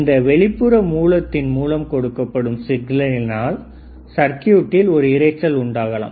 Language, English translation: Tamil, Then this signal that is generated from this external source may introduce a noise in this circuit